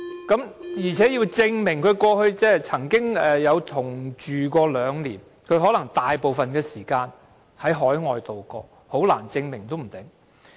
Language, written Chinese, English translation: Cantonese, 再者，他須證明過去曾與死者同居兩年，而他可能大部分時間在海外度過，說不定難以提出證明。, Moreover he has to prove that he had been living with the deceased in the same household for two years and since he may be living overseas most of the time he may not be able to produce such proof